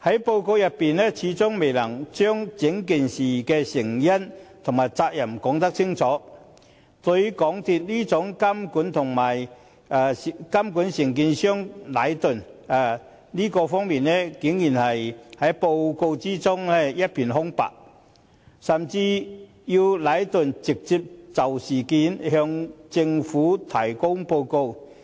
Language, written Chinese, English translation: Cantonese, 報告未能清楚說明事件的成因和責任，對於港鐵公司如何監管承建商禮頓建築有限公司，報告竟然隻字未提，甚至要禮頓直接就事件向政府提交報告。, The report failed to specify the causes of the incident and who should be held accountable . Surprisingly not a word was mentioned in the report as regards how MTRCL supervised Leighton Contractors Asia Limited Leighton the contractor . Leighton was even asked to submit a report on the incident to the Government directly